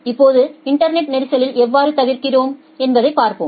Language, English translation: Tamil, Now, let us see that how we avoid congestion in the internet